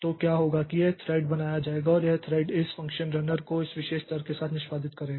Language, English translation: Hindi, Now, if you look into, so what will happen is that this thread will be created and this thread will be executing this function runner with this particular argument